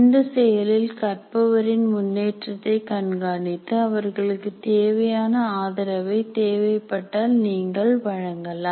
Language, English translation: Tamil, And then in the process you also track the learners progress and provide support if needed